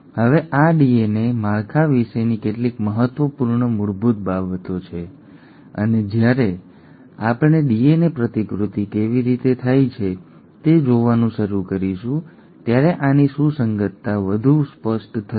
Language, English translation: Gujarati, Now this is some of the important basics about DNA structure and the relevance of this will become more apparent when we start looking at exactly how DNA replication happens